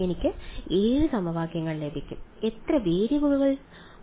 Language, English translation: Malayalam, I will get 7 equations; in how many variables